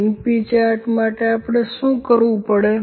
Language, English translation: Gujarati, For the np chart what we need to do